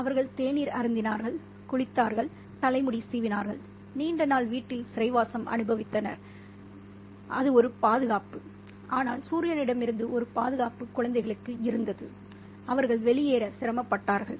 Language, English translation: Tamil, They had their tea, they had been washed and had their hair brushed, and after the long day of confinement in the house that was not cool, but at least a protection from the sun, the children strained to get out